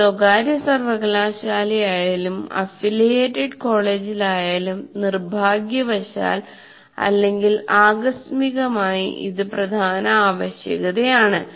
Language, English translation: Malayalam, Whether it is a private university or in an affiliated college, you still have this unfortunately or incidentally is a major requirement